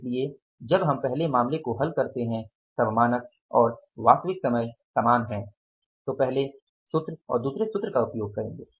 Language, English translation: Hindi, So, when we are doing one case and when the standard and the actual time is same, you are using the first formula and second formula